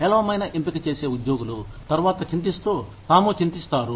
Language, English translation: Telugu, Employees, who make poor choices, and later regret